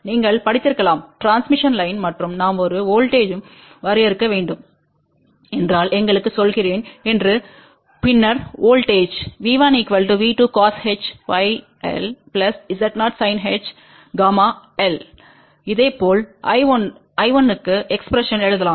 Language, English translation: Tamil, You might have studied about transmission line and you know that let us say if we want to define a voltage V 1 then voltage V 1 is nothing but equal to V 2 cos hyperbolic gamma l plus Z 0 sin hyperbolic gamma l, similarly one can write expression for I 1